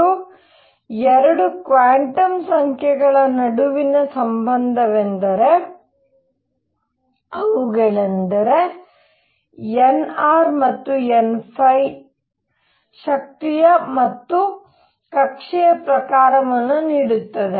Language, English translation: Kannada, And the relationship between 2 quantum numbers namely n r and n phi gives the energy and the type of orbit